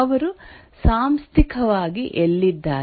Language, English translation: Kannada, Where are the organizationally located